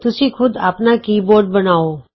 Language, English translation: Punjabi, Create your own key board